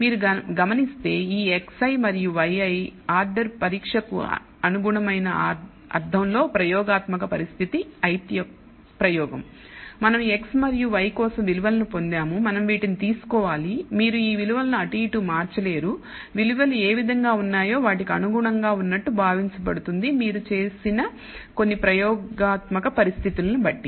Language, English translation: Telugu, Notice again that this x i and y i order test in the sense that corresponding to the experimental condition ith experiment; we have obtained values for x and y and that is that is what we have to take you cannot shu e these values any which way they are known assumed to be corresponding to some experimental conditions that you have set